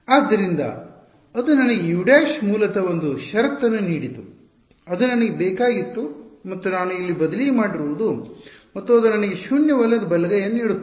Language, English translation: Kannada, So, that gave me a condition for u prime, basically that is what I wanted and that u prime is what I substituted over here and that gives me a non zero right hand side right